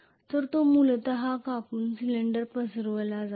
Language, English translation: Marathi, So it is essentially cut out and spread out cylinder